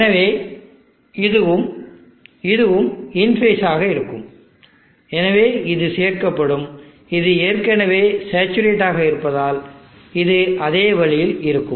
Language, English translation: Tamil, So this and this will be in phase, so it will be added up and if this because this is already saturated it will be the same way